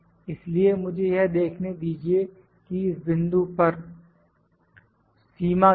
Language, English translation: Hindi, So, let me try to see you what is if I limit at this point